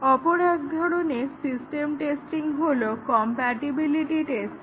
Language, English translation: Bengali, Another type of system testing is the compatibility testing